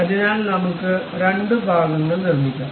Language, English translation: Malayalam, So, we have constructed two parts